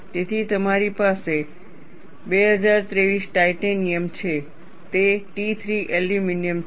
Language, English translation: Gujarati, So, you have a 2023 Titanium, that is T 3 aluminum